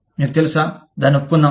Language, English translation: Telugu, You know, let us admit it